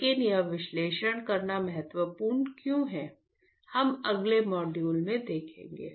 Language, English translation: Hindi, But, how what why it is a important to do that analysis we will see in the next module